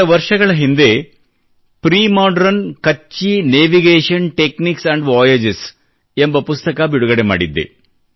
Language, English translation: Kannada, A few years ago, I had unveiled a book called "Premodern Kutchi Navigation Techniques and Voyages'